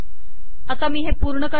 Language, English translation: Marathi, So let me complete this